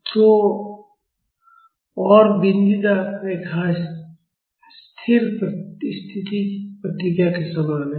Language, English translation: Hindi, So, and the dotted line the same as the steady state response